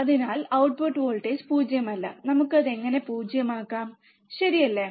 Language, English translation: Malayalam, So, is the output voltage is not 0, how we can make it 0, right